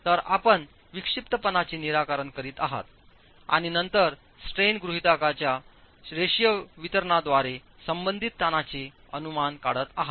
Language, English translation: Marathi, So, you are fixing the eccentricity and then estimating the corresponding strains from the linear distribution of strains assumption